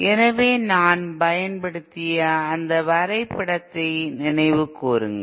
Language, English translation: Tamil, So recall that diagram that I had used